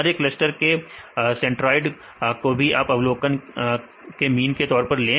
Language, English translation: Hindi, Then get this centroids of each cluster as mean of the observations